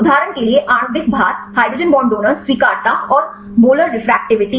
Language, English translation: Hindi, For example, molecular weight, hydrogen bond donors, acceptors and the molar refractivity